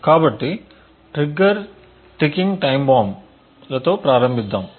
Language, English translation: Telugu, So, let us start with trigger ticking time bombs